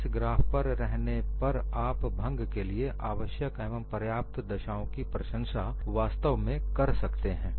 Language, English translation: Hindi, By looking at this graph, you would really appreciate the necessary and sufficient conditions for fracture